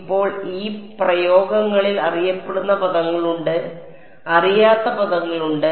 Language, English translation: Malayalam, Now, in these expressions there are terms that are known and there are terms that are not known